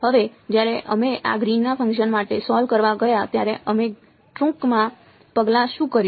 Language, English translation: Gujarati, Now when we went to solve for this Green’s function, what did we do the steps briefly